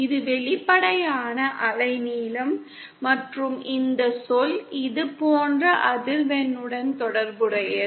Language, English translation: Tamil, This is the apparent wavelength and this term is related to the frequency like this